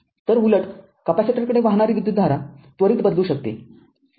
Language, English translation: Marathi, So, conversely the current to a capacitor can change instantaneously